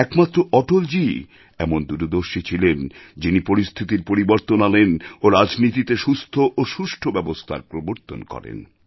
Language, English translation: Bengali, It could only be a visionary like Atalji who brought in this transformation and as a result of this, healthy traditions blossomed in our polity